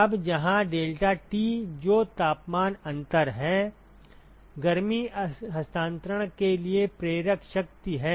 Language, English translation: Hindi, Now where deltaT which is the temperature difference is the driving force for heat transfer